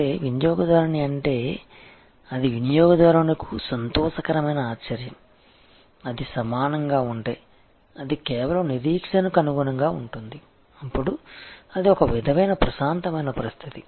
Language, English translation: Telugu, That means, customer is it is a delightful surprise for the customer, if it is equal, it just meets the expectation, then it kind of it is an even keel situation